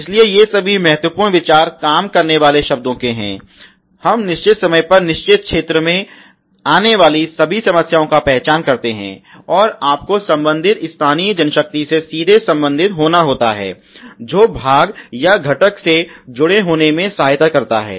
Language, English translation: Hindi, So, all these a important thinks go to works words really we identification all the problems coming in certain area on a given a period of time ok, and you have to directly relate the concerned local manpower which is assisting in fitment of the part or component or even the process ok